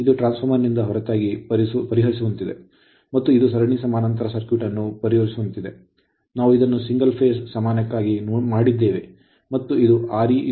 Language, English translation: Kannada, It is something like your solving apart from this transistor and other solving like a series parallel circuit, though we have done it for a single phase and this is R e 1 that is 0